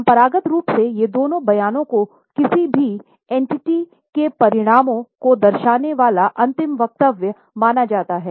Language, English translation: Hindi, Traditionally, these two statements were considered as the final statements showing the results of any entity